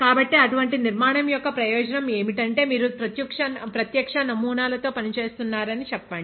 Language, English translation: Telugu, So, what is utility of such a structure is that, let us say you are working with live samples